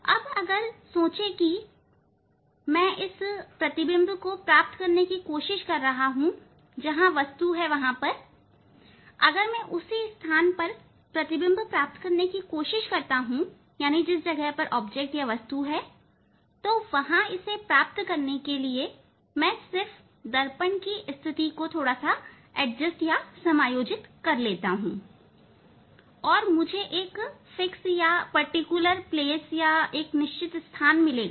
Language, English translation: Hindi, Now think that if I try to find out the image at this place, where the object is there if I try to find out the image at the same place where object is there and for getting that one if I just adjust the position of the mirror and I will get a certain position, I will get a particular position where for that position I will get the image exactly on the object